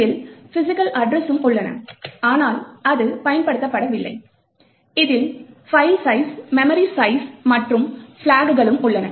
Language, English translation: Tamil, These physical addresses also present, but it is not used, it also has the file size and the memory size and the flags present